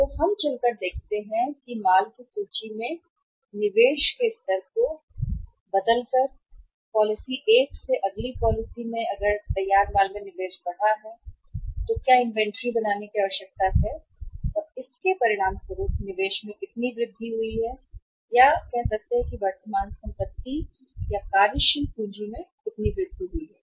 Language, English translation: Hindi, So we see that by changing the level of investment in the finished goods inventory by moving from the policy 1 to the policy uh next policy what increased investment in the finished goods inventory is required to be made and as a result of that how much increased investment in the other say current assets or in the net working capital takes place